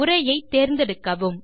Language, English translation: Tamil, First select the text